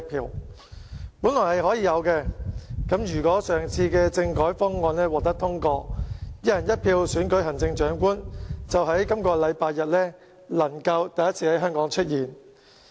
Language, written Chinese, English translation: Cantonese, 他們本來可以投票的，如果上次政改方案獲得通過，"一人一票"選舉行政長官就能在本星期天首次在香港出現。, They originally could vote if the constitutional reform package was passed last time and the Chief Executive of Hong Kong could be elected by one person one vote for the first time this Sunday